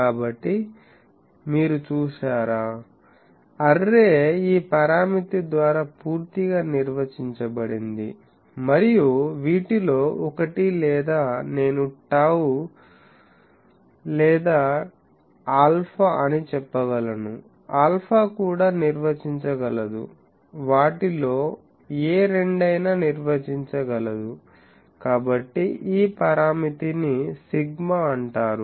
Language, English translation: Telugu, So, you see, the array is completely defined by this parameter tau and one of these or I can say tau dn by 2 l n or alpha, alpha also can define, any two of them, so this parameter is called sigma